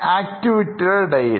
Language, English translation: Malayalam, So during the activity